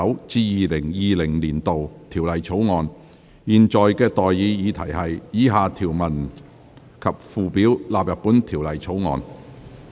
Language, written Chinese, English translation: Cantonese, 我現在向各位提出的待議議題是：以下條文及附表納入本條例草案。, I now propose the question to you and that is That the following clauses and schedule stand part of the Bill